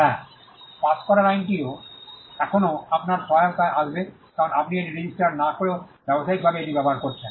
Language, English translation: Bengali, Yes, the law of passing of will still come to your help, because you have been using it in trade, though you have not registered it